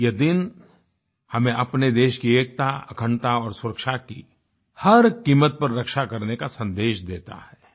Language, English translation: Hindi, This day imparts the message to protect the unity, integrity and security of our country at any cost